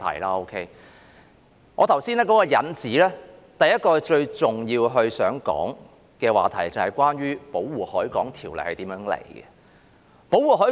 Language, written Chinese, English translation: Cantonese, 在我剛才提出的引子中，第一個最重要想談論的話題，就是關於《條例》的起源。, With the introductory remarks that I have made a moment ago the first and foremost important issue that I wish to talk about is the origin of the Ordinance